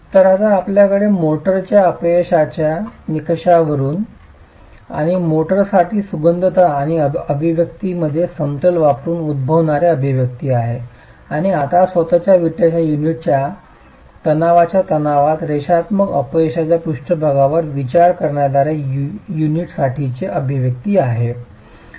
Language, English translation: Marathi, So now we have an expression that comes from the failure criterion for motor and using equilibrium and compatibility an expression for the motor and now an expression for the unit itself coming from the consideration of the linear failure surface in tension compression of the brick unit itself